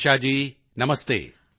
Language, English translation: Punjabi, Shirisha ji namastey